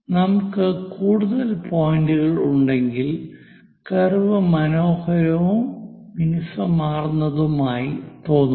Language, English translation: Malayalam, If we have more number of points, the curve looks nice and smooth